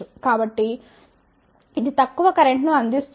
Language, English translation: Telugu, So, it will provide low current